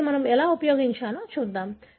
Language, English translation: Telugu, Let us look at how we use this